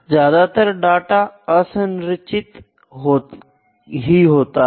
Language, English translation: Hindi, So, data is generally unstructured